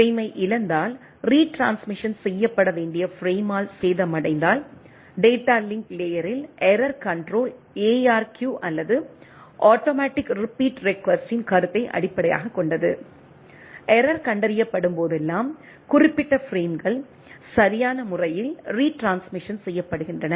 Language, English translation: Tamil, If there is a lost of frame, damaged of the frame that should be retransmission, error control in the data link layer is based on a concept of ARQ or automatic repeat request right, whenever there is a error is detected specified frames are retransmitted right